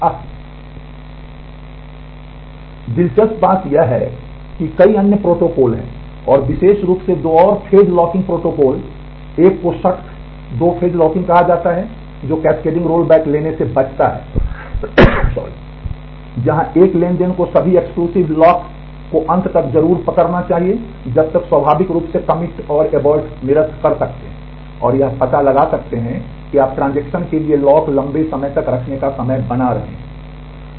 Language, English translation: Hindi, ah Interestingly there are several other protocols and particularly two more two phase locking protocol 1 is called strict 2 phase locking, which avoids cascading roll back, where a transaction must hold all exclusive locks till it finally, commits and aborts naturally you can figure out that you are making the time for the transaction to hold lock longer